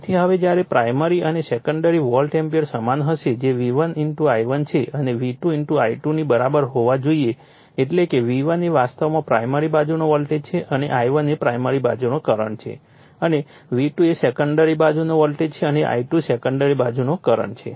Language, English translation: Gujarati, Now, hence the primary and secondary volt amperes will be equal that is V1 * I1 must be equal to V2 * I2 , that is V1 actually is your primary side voltage and I1 is the primary side current and V2 is a secondary side voltage and I2 is the secondary side current